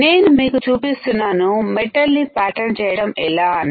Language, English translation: Telugu, So, I am showing you how to pattern metal